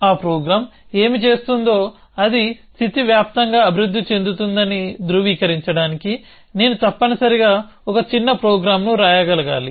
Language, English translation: Telugu, I must able to write a small program to validate that what will that program do it will progress over the state